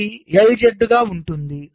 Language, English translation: Telugu, it will be l